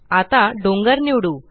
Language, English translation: Marathi, Let us select the mountain